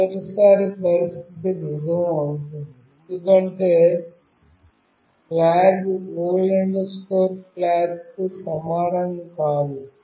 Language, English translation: Telugu, For the first time the condition will be true, because flag is not equal to old flag